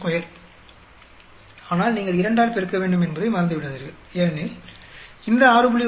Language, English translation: Tamil, 45 square but do not forget you need to multiply by 2 because this 6